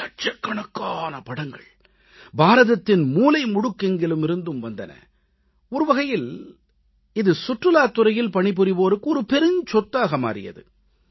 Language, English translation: Tamil, Lakhs of photographs from every corner of India were received which actually became a treasure for those working in the tourism sector